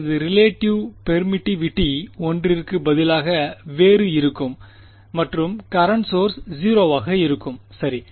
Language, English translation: Tamil, I will have relative permittivity to be different from 1 and current source will be 0 right